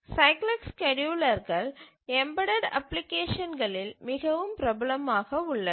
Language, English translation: Tamil, Let's look at the cyclic schedulers are very popular used in embedded applications